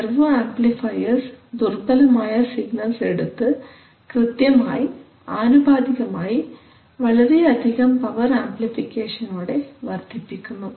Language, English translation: Malayalam, So servo amplifiers will take weak signals and will accurately, exactly, proportionally, multiply them but with lot of power amplification